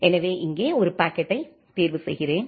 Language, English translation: Tamil, So, let me choose one packet here